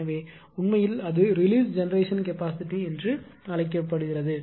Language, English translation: Tamil, So, that is why actually it is called released generation capacity